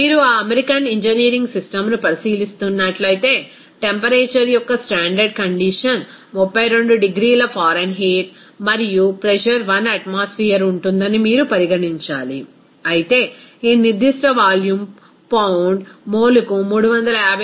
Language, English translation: Telugu, If you are considering that American engineering system, you have to consider that a standard condition of temperature will be 32 degree Fahrenheit and the pressure will be 1 atmosphere, whereas this specific volume will be is equal to 359